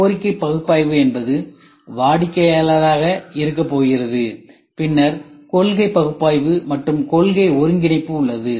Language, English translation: Tamil, Need analysis is going to be the customer, then requirement analysis, then you have concept analysis and you have concept integration